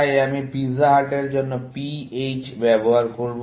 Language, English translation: Bengali, So, I will use PH for pizza hut